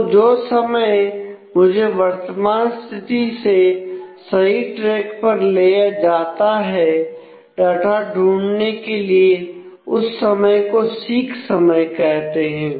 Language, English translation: Hindi, So, this time it takes to go from current position to the correct track where, I find the data is called the seek time